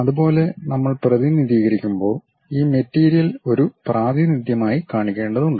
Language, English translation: Malayalam, Similarly, when we are representing; this material has to be shown as a representation